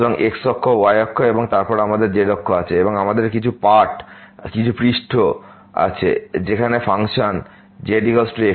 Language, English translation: Bengali, So, axis, axis and then, we have axis there and we have some surface where the function z is equal to